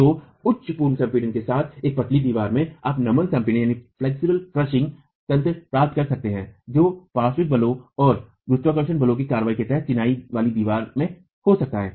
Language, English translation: Hindi, So, in a slender wall with high pre compression, you can get the flexural crushing mechanism that can occur in a masonry wall under the action of lateral forces and gravity forces